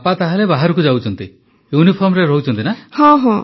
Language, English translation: Odia, So your father goes out, is in uniform